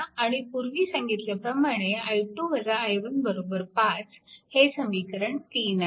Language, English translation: Marathi, If you solve it, so you will get i 1 is equal to 4